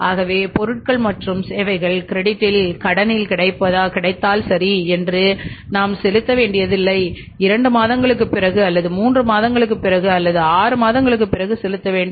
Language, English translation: Tamil, So, we think that okay if the material is available on the credit, goods and services are available on the credit, we are not to pay today, we have to pay after say two months or maybe sometime three months or in certain companies case after six months